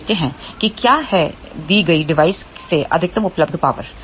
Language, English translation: Hindi, Now, let us see what is the maximum available power from a given device